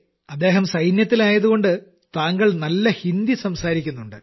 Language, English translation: Malayalam, Being part of the army, you are also speaking Hindi well